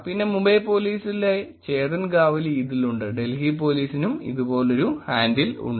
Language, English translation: Malayalam, And then there is Chetan Gavali at Mumbai Police, Delhi Police too there is a handle